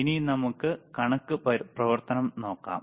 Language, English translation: Malayalam, Now let us see the math function